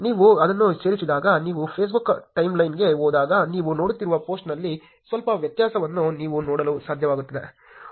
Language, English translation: Kannada, When you add it, when you go to your Facebook timeline, you should be able to see some difference in the post that you are seeing